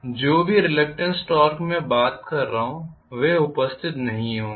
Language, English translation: Hindi, The reluctant torque whatever I am talking about they will not be present